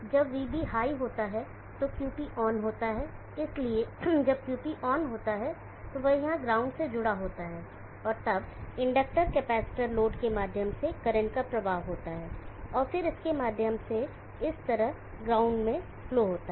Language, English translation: Hindi, So operation sample when VB goes high QP turns on, so when QP turns on this is connected to the ground here and then there is a flow of current through the inductor, capacitor load, and then through this into this ground like this